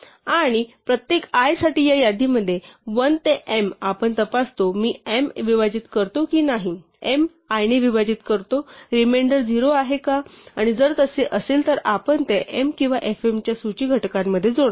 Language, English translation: Marathi, And for each i, in this list 1 to m we check, whether i divide m, whether m divided by i as reminder 0 and if so we add it to the list factors of m or fm